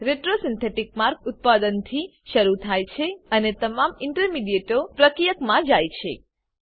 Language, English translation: Gujarati, Retrosynthetic pathway starts with the product and goes to the reactant along with all the intermediates